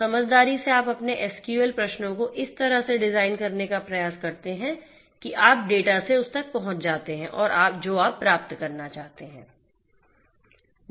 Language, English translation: Hindi, So, you know intelligently you try to design your you know your SQL queries in such a way that you get access to data beyond what you are supposed to get